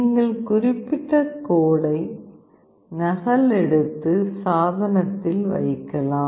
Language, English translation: Tamil, And you can then copy that particular code and put it in the device